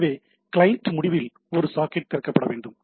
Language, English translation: Tamil, So, what you require you require a socket to be opened at the client end